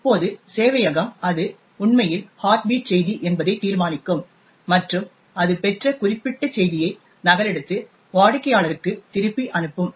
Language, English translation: Tamil, Now, the server would determine that it is indeed the heartbeat message and replicate that particular message that it received and send it back the client